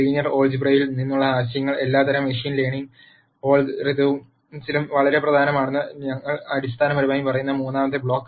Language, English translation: Malayalam, The third block that we have basically says that the ideas from linear algebra become very very important in all kinds of machine learning algorithms